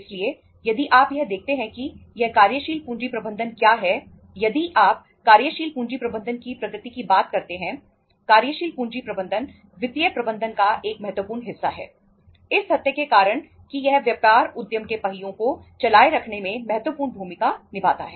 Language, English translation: Hindi, So if you look at this what is the this working capital management if you talk about, nature of the working capital management, working capital management is a significant part of financial management due to the fact that it plays a pivotal role in keeping the wheels of business enterprise running